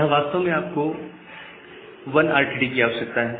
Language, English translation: Hindi, So, you actually require 1 RTT here